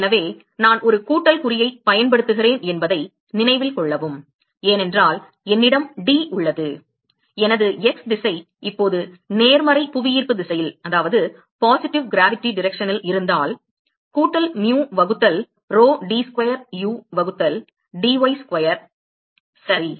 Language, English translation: Tamil, So, note that I am using a plus sign, because I have d, if my x direction is now in the positive gravity direction plus mu by rho d square u by dy square ok